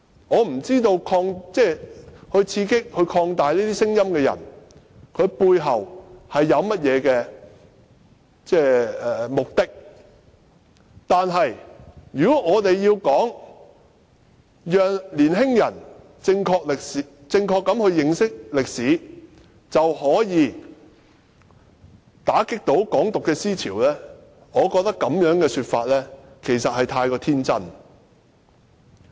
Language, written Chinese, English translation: Cantonese, 我不知道刺激和擴大這些聲音的人背後有何目的，但如果以為讓年青人正確認識歷史便可以打擊"港獨"思潮，我認為這種說法未免太天真。, I have no idea of the underlying motive of the people who energized and amplified such voices but I think it would be too naïve to think that allowing young people to properly learn history can deal a blow to the ideology of Hong Kong independence